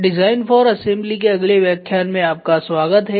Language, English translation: Hindi, Welcome to the next lecture on Design for Assembly